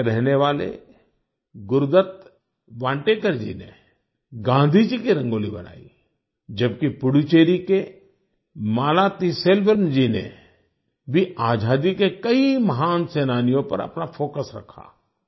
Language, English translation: Hindi, Gurudutt Vantekar, a resident of Goa, made a Rangoli on Gandhiji, while Malathiselvam ji of Puducherry also focused on many great freedom fighters